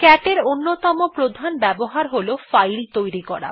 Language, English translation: Bengali, Infact the other main use of cat is to create a file